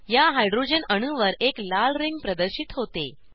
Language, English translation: Marathi, A red ring appears on that Hydrogen atom